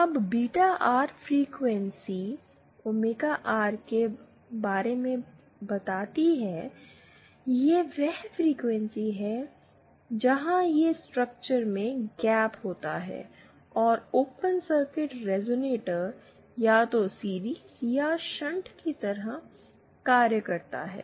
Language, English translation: Hindi, Now, Beta R corresponds to the frequency omega R that is the frequency where this structure consisting of the gap and the open circuit resonator acts like either a series or shunt resonator